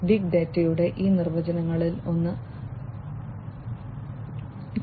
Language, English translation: Malayalam, This is as per one of these definitions of big data